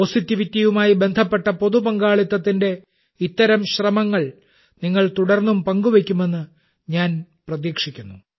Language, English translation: Malayalam, I am of the firm belief that you will keep sharing such efforts of public participation related to positivity with me